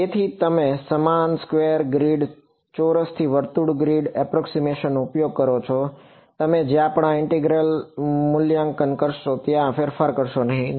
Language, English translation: Gujarati, So, you use the same square grid, square to circle grid approximation, you do not change the where you would evaluate this integral right